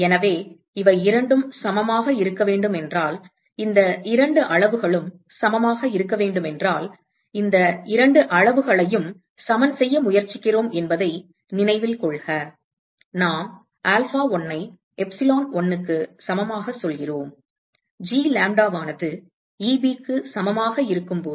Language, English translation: Tamil, So, if these two have to be equal, so if these two quantities have to be equal, so note that we are trying to equate these two quantities we say alpha1 equal to epsilon1, when G lambda equal to Eb